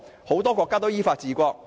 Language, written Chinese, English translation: Cantonese, 很多國家都依法治國。, A lot of countries are governed in accordance with law